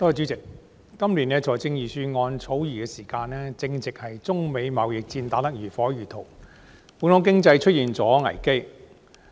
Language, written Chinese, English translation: Cantonese, 主席，今年財政預算案草擬的時間，正值中美貿易戰打得如火如荼，本港經濟面臨危機。, President when the Budget this year was being drafted the trade war between China and the United States was in full swing and the Hong Kong economy was facing crisis